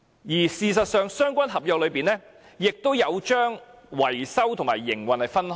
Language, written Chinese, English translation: Cantonese, 而事實上，在相關合約中，亦有將維修和營運分開。, In fact in the contract concerned maintenance and operation are distinguished from one another